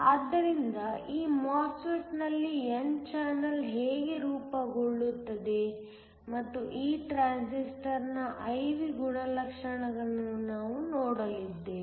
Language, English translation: Kannada, So, we are going to look at how n channel is formed in this MOSFET and also the I V characteristics of this transistor